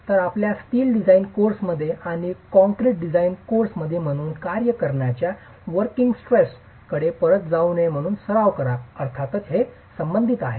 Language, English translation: Marathi, So, in your steel design courses and concrete design courses, it's become practice not to go back to the working stress method as far as the teaching of the course is concerned